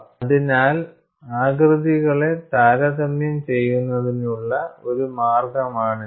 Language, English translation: Malayalam, So, that is one way of comparing the shapes